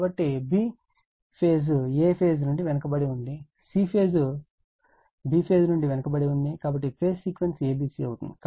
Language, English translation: Telugu, So, because b lags from a, c lags from b, so phase sequence is a b c right